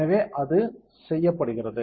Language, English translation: Tamil, So, that is done